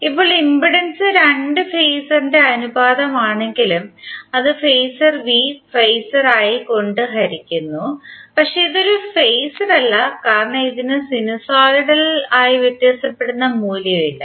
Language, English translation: Malayalam, Now although impedance is the ratio of two phasor, that is phasor V divided by phasor I, but it is not a phasor, because it does not have the sinusoidal varying quantity